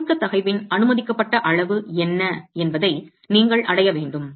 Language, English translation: Tamil, So, you have to arrive at what is the permissible level of compressive stress